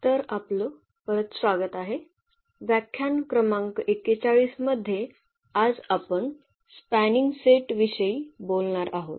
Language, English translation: Marathi, So, welcome back and this is lecture number 41 will be talking about this Spanning Set